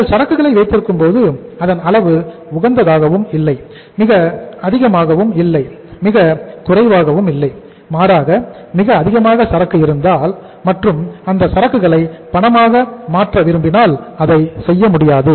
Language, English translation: Tamil, If you keep an inventory and the level of inventory is not optimum nor too high, neither too low and if have the very high level of inventory and if want to convert that inventory into cash, can you do that